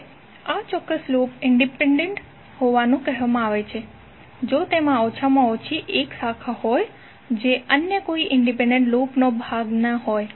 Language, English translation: Gujarati, Now this particular loop is said to be independent if it contains at least one branch which is not part of any other independent loop